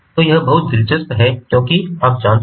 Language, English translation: Hindi, so this is very interesting